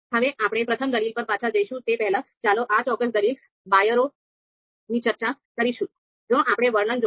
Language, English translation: Gujarati, Now let’s before we go back to the first argument, let us talk about this particular argument byrow